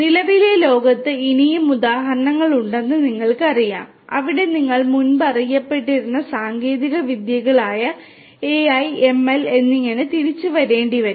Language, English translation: Malayalam, You know there are many more examples in the current day world, where you know you have to fall back on your previous you know previously known technologies such as AI, ML and so on